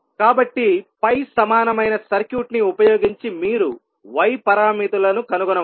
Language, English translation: Telugu, You can directly use the pi equivalent circuit and find out the value of y parameters